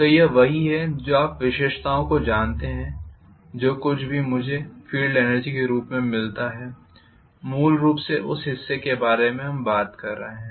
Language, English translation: Hindi, So this is what is going to be you know the characteristics, whatever I get as field energy I am basically talking about this portion